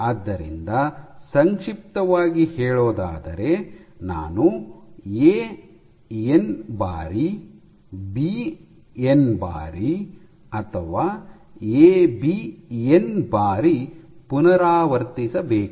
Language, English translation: Kannada, So, in shorts do I repeat A n times B n times or AB n times